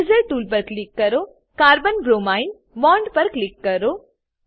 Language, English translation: Gujarati, Click on Eraser tool and click on Carbon bromine bond